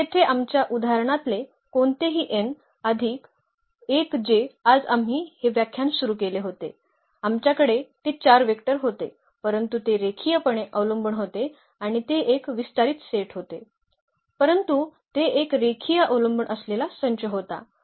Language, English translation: Marathi, So, here any n plus 1 in the in our example also which we started this lecture today we had those 4 vectors, but they were linearly dependent and that was a spanning set ah, but it was a linearly dependent set